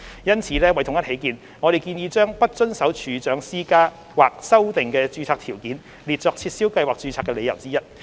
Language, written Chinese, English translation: Cantonese, 因此，為統一起見，我們建議將"不遵守處長施加或修訂的註冊條件"列作撤銷計劃註冊的理由之一。, Therefore for uniformity we propose to add non - compliance of a registration condition imposed or amended by the Registrar as one of the grounds for cancellation of the registration of a scheme